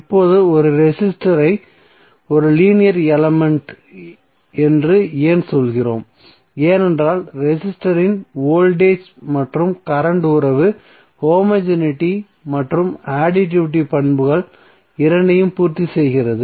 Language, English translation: Tamil, Now we say that a resistor is a linear element why because the voltage and current relationship of the resistor satisfy both the homogeneity and additivity properties